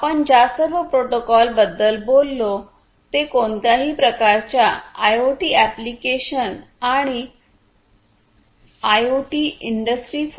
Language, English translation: Marathi, All these protocols that we have talked about are very much attractive for use with any kind of IoT applications and IoT and industry 4